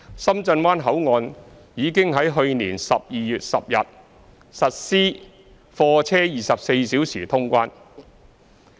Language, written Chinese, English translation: Cantonese, 深圳灣口岸已於去年12月10日實施貨車24小時通關。, Shenzhen Bay Port already began to implement 24 - hour cargo clearance services on 10 December last year